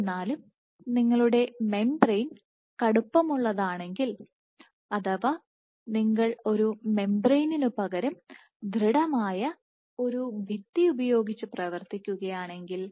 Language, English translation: Malayalam, However, if your membrane is stiff let us say instead of having a membrane you are operating with a rigid wall